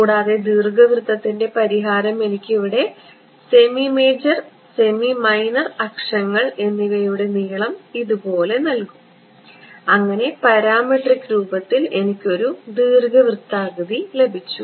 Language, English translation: Malayalam, And the solution to the ellipsoid will give me over here the length of the semi major semi minor axis are like this, and in parametric form I got a ellipsoid right